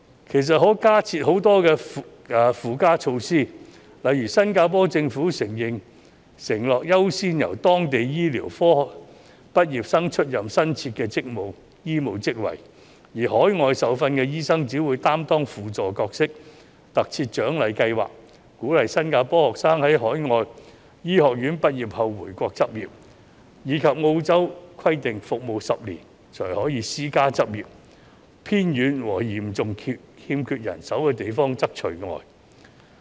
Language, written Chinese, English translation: Cantonese, 其實，還有很多附加措施可以加設，例如新加坡政府承諾優先由當地醫科畢業生出任新設的醫務職位，而海外受訓醫生只會擔當輔助角色；特設獎勵計劃，鼓勵新加坡學生在海外醫學院畢業後回國執業；以及澳洲規定服務10年才可以私家執業，偏遠和嚴重欠缺人手的地方則除外。, For example the Singaporean Government has pledged to give priority to local medical graduates for new medical positions with overseas - trained doctors playing a supporting role only . Besides there are incentive schemes to encourage Singaporeans students to return to their home country for practice upon graduation from overseas medical schools . In Australia 10 years of service are required for doctors to turn to private practice except in remote and severely under - staffed places